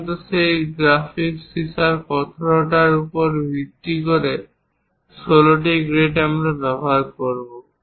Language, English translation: Bengali, Usually, 16 grades based on the hardness of that graphite lead we will use